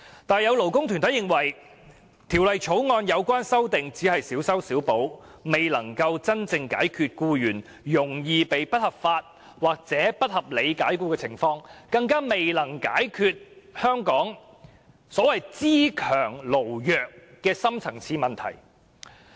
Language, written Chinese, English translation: Cantonese, 但是，有些勞工團體認為，《條例草案》的有關修訂只是小修小補，未能真正解決僱員容易被不合法或不合理解僱的問題，更未能解決香港"資強勞弱"的深層次問題。, To some labour groups these amendments in the Bill are however too piecemeal to give a real solution to the problem of unlawful or unreasonable dismissal commonly faced by employees not to mention the deep - rooted issue of strong capitalists and weak workers in Hong Kong